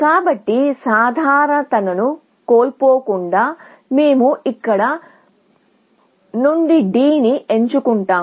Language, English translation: Telugu, So, let us say, without loss of generality, we pick D from here